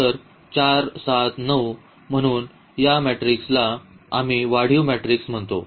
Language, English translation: Marathi, So, this matrix we call as the augmented matrix